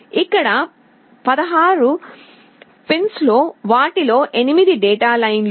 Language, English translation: Telugu, Here, among the 16 pins, 8 of them are data lines